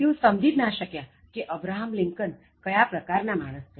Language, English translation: Gujarati, They could not understand what kind of man Abraham Lincoln was